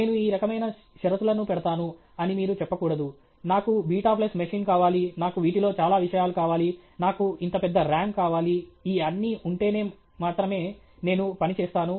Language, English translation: Telugu, You should not say I will put these kind of conditions; I want a beta flop machine; I want so many these things; I want such a big RAM; only with all these things I will work okay